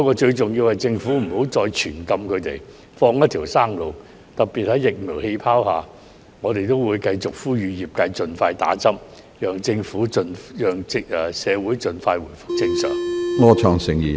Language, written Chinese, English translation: Cantonese, 最重要的，是政府不要再對他們實施"全禁"，而應放他們一條生路，尤其是在"疫苗氣泡"下，我們也會繼續呼籲業界人士盡快接種疫苗，讓社會盡快回復正常。, The most important thing is that the Government should not impose a total ban on them but should give them a way out . Under the vaccine bubble in particular we will continue to appeal to members of the industry to get vaccinated as soon as possible so that society can return to normal as soon as possible